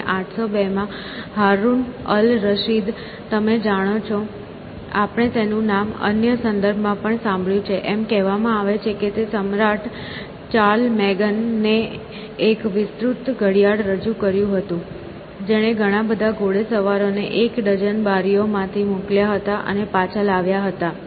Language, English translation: Gujarati, And, in 802 Haroun al Rashid, you know, we heard his name in other context as well, is said to have presented Emperor Charlemagne with an elaborate clock which sent out dozens of cavaliers from a dozen windows each and back again